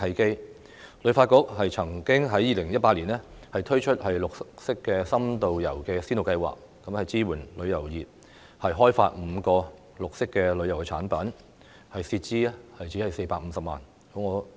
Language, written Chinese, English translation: Cantonese, 香港旅遊發展局曾經在2018年推出"綠色深度遊"先導計劃，支援旅遊業開發5個綠色的旅遊產品，涉資只有450萬元。, In 2018 the Hong Kong Tourism Board launched the Pilot Scheme to Promote In - depth Green Tourism to support the tourist industry in developing five green tourism products with an expenditure of 4.5 million only